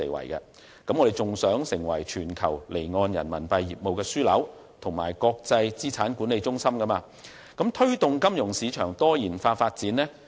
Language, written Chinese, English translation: Cantonese, 此外，香港亦希望成為全球離岸人民幣業務的樞紐和國際資產管理中心，並推動金融市場的多元化發展。, Furthermore Hong Kong should aim at becoming an offshore RMB business hub and an international asset management centre to promote diversified development of the financial market